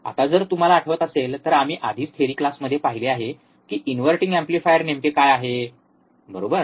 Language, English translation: Marathi, Now if you recall, we have already seen in the theory class, what exactly the inverting amplifier is right